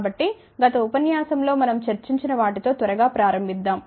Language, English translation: Telugu, So, let us start with quickly what we had discussed in the last lecture